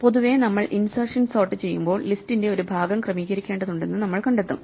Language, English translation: Malayalam, In general, when we do insertion sort we will find that we need to sort things a segment of the list